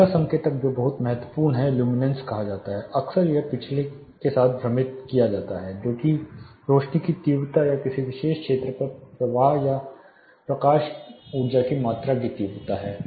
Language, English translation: Hindi, The next indicator which is very crucial is called luminance, often it is confused with the previous one that is illuminance that is the intensity of lights or the flux or the amount of light energy falling on a particular area